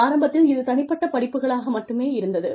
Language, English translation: Tamil, Initially, it was just, individual courses